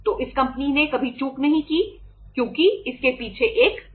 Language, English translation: Hindi, So this company has never defaulted because there is a secret behind it